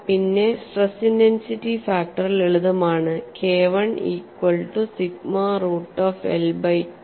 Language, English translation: Malayalam, The expression for stress intensity factor could be simply written as K 1 equal to sigma root of pi l divided by I 2